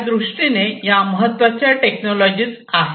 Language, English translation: Marathi, So, these are very important technologies